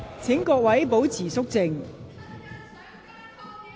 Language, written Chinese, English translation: Cantonese, 請各位保持肅靜。, Will Members please keep quiet